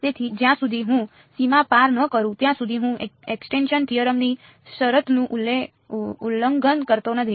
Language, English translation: Gujarati, So, as long as I do not go across the boundary I am not violating the condition of extinction theorem right